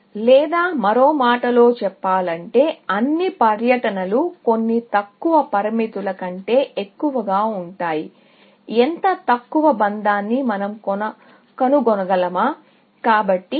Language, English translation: Telugu, Or in other words, all tours are going to be greater than some lower bound; can we find such a lower bound